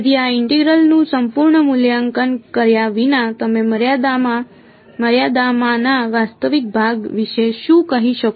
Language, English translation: Gujarati, So, without doing evaluating this integral completely what can you say about the real part in the limit